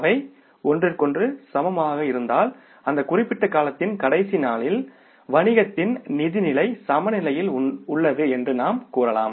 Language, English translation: Tamil, If they are equal to each other, then you can say that the financial position of the business is balanced on that last day of that particular period